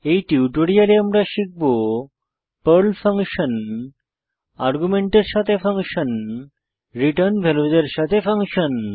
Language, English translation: Bengali, In this tutorial, we have learnt Functions in Perl functions with arguments and functions which return values using sample programs